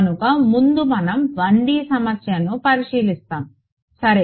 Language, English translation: Telugu, So, we will take a quick look at a 1D problem ok